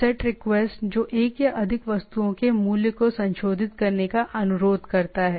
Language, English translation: Hindi, Set requests, a request to modify the value of one or more object that is a set request